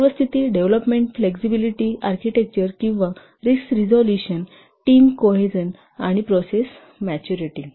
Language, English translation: Marathi, Precedenteness, development flexibility, architecture risk resolution, team cohesion and process maturity